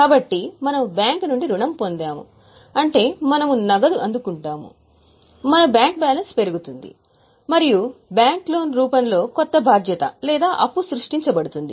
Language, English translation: Telugu, So, we have obtained loan from bank, so we receive our bank balance increases and a new liability in the form of bank loan is created